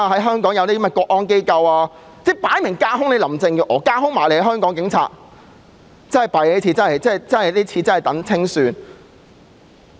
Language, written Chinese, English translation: Cantonese, 香港即將設立國安機構，明顯是架空林鄭月娥及香港警隊，這真是糟糕，要等待清算。, The national security agency to be established in Hong Kong is obviously meant to bypass Carrie LAM and the Hong Kong Police Force who unfortunately await the settling of accounts